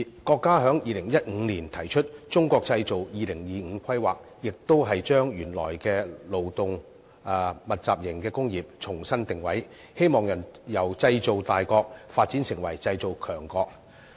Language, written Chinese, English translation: Cantonese, 國家在2015年提出《中國製造2025》的規劃，目的也是將原來的勞動密集型工業重新定位，希望由製造大國發展成為製造強國。, In 2015 the State introduced the plan of Made in China 2025 also with the objective of repositioning the original labour - intensive industries with a view to developing from a manufacturing nation to a manufacturing power